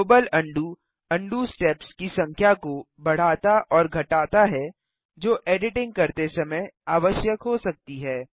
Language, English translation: Hindi, Global undo increases/decreases the number of undo steps that might be required while editing